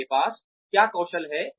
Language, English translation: Hindi, What are the skills, they have